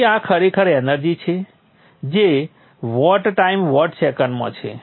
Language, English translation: Gujarati, So this is actually the energy, vats into time, watt seconds